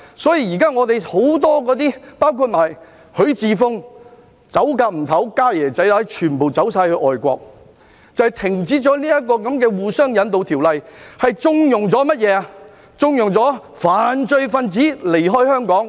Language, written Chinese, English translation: Cantonese, 因此，現時很多人包括許智峯也急不及待要逃走，"家爺仔乸"全部逃到外國，正因他們停止了這項互相引渡的法例，縱容犯罪分子離開香港......, As a result many people including HUI Chi - fung have hastened to flee to foreign countries together with all their family members . They have exactly connived at fugitive offenders fleeing Hong Kong by terminating the agreements on the surrender of fugitive offenders